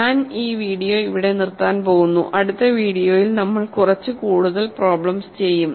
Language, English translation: Malayalam, I am going to stop this video here; in the next video we will do some more problems